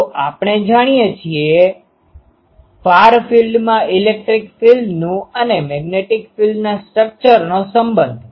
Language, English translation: Gujarati, So, from we know the structure of electric field and magnetic field relation in the far field